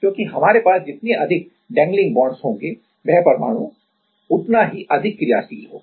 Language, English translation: Hindi, Because, the more number of dangling bonds we have that atom will be more reactive ok